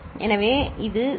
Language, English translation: Tamil, This is 0